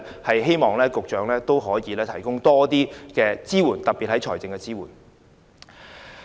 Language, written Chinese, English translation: Cantonese, 我希望局長可以提供更多支援，特別是財政方面。, I hope that the Secretary will give more support particular financial support